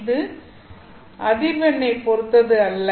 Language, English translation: Tamil, Does it depend on frequency